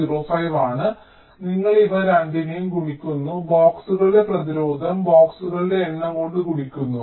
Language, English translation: Malayalam, r box is point zero five and you multiply these two resistance, ah, resistance of a box multiplied by number of boxes